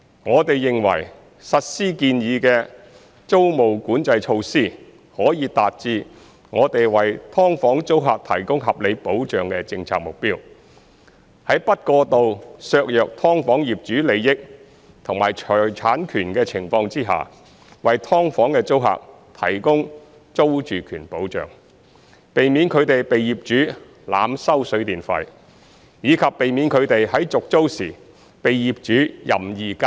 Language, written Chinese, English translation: Cantonese, 我們認為，實施建議的租務管制措施，可以達致我們為"劏房"租客提供合理保障的政策目標，在不過度削弱"劏房"業主利益和財產權的情況下，為"劏房"的租客提供租住權保障，避免他們被業主濫收水電費，以及避免他們在續租時被業主任意加租。, We consider that the implementation of the proposed rent control measures can achieve our policy objective of providing reasonable protection to tenants of subdivided units . Without unduly undermining the interests and property rights of owners of subdivided units these measures provide security of tenure to tenants of subdivided units sparing them from being overcharged by landlords for water and electricity charges and arbitrary rent increases imposed by landlords upon tenancy renewal